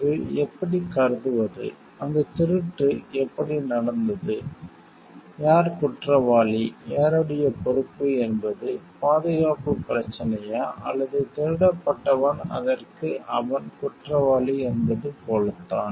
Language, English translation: Tamil, Then how do we consider, how that theft has been done and who is guilty, whose responsibility was it like was the security was the problem, or the person who were stolen, it is like he is guilty for it